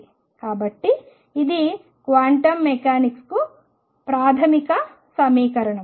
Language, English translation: Telugu, So, this is the fundamental equation of quantum mechanics